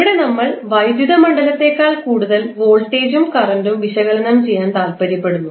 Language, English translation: Malayalam, There we are more interested in about analysing voltage and current than the electric field